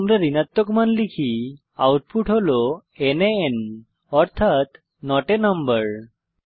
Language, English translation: Bengali, If we enter negative number, output is nan it means not a number